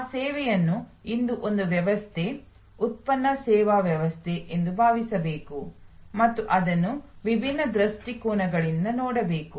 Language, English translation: Kannada, That service today must be thought of as a system, product service system and it must be looked at from different perspectives